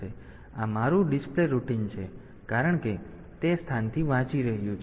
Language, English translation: Gujarati, So, this my display routine since it is reading from that location